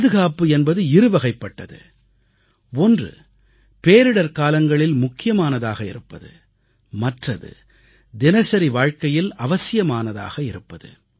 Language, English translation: Tamil, Safety is of two kinds one is safety during disasters and the other is safety in everyday life